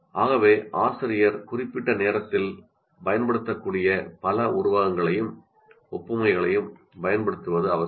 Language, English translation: Tamil, So it is necessary the teacher uses many as many similes and analogies that one can, the teacher can make use of in the given time